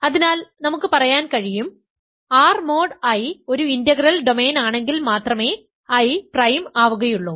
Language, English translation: Malayalam, So, then we can say, I is prime if and only if R mod I is an integral domain